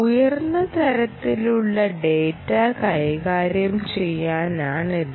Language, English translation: Malayalam, i would say high level data handling